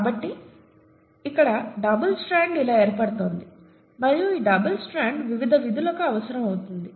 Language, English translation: Telugu, So this is how the double strand is getting formed here and this double strand becomes essential for its various functions